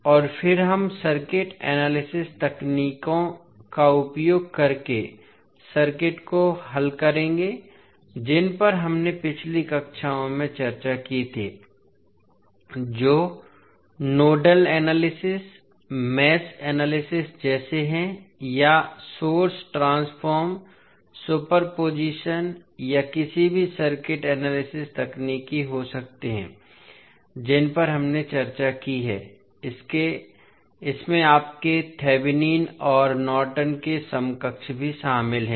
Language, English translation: Hindi, And then we will solve the circuit using the circuit analysis techniques which we discussed in the previous classes those are like nodal analysis, mesh analysis or may be source transformation, superposition or any circuit analysis techniques which we discussed this includes your Thevenin’s and Norton’s equivalent’s also